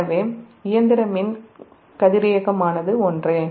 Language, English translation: Tamil, so mechanical, electrical and radiant it is same